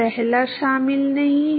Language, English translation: Hindi, First one does not include